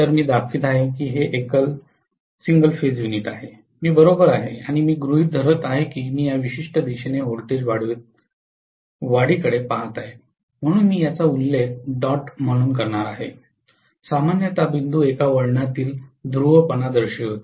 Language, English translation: Marathi, So this is one single phase unit I am showing, right and I am assuming that I am actually looking at the voltage rise in this particular direction so I am going to mention this as dot, generally the dot indicates the polarity of one winding visa viz the other winding